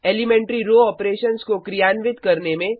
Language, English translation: Hindi, Perform elementary row operations